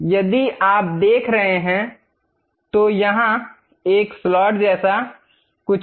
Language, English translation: Hindi, If you are seeing, there is something like a slot